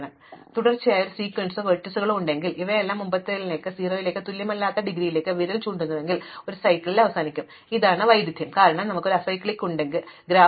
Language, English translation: Malayalam, So, therefore, if I have a continuous sequence of vertices all of which are pointing to the previous one with indegree not equal to 0, then I will end up with a cycle, but this is a contradiction, because we have an acyclic graph